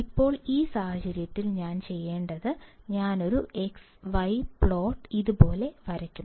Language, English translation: Malayalam, Now in this case what I will do is, I will draw an x and y; x y plot like this